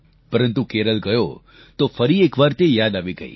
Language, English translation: Gujarati, When I went to Kerala, it was rekindled